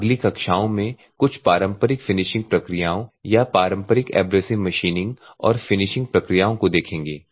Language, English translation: Hindi, And we will see some of the conventional finishing processes or conventional abrasive machining and finishing processes in the next classes